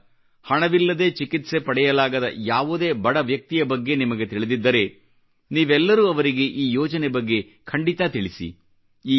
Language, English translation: Kannada, If you know a poor person who is unable to procure treatment due to lack of money, do inform him about this scheme